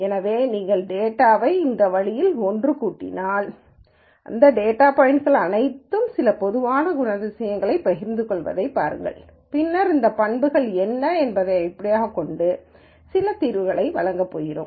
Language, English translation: Tamil, So, if you cluster the data this way then it is something that we can use where we could say look all of these data points share certain common characteristics and then we are going to make some judgments based on what those characteristics are